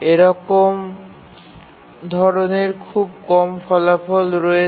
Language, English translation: Bengali, There are very few optimal results